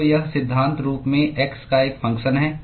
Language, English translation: Hindi, So, this is in principle a function of x